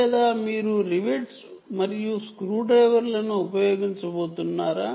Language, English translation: Telugu, or are you going to use rivets and screws and so on